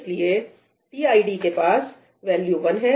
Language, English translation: Hindi, So, now, tid has value 1